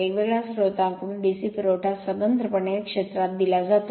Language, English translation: Marathi, You have from a different source DC supply separately is given to your field